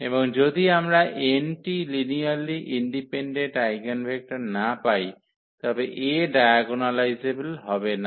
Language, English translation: Bengali, And if we cannot get these n linearly independent eigenvectors then the A is not diagonalizable